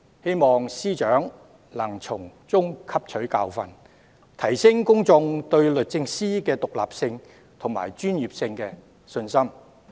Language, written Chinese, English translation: Cantonese, 希望司長能從中汲取教訓，提升公眾對律政司的獨立性及專業性的信心。, I hope the Secretary for Justice can learn from the experience and boost public confidence in the independence and professionalism of DoJ